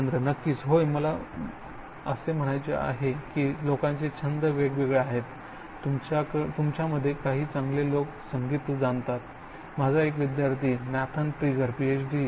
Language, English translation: Marathi, Certainly, yes I mean people are different hobbies, some people good at you know music, one of my student Nathan Trigger is did Ph